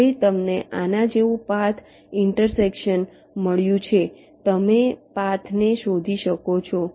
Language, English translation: Gujarati, now, as you got a path intersection like this, you can trace back a path like up to here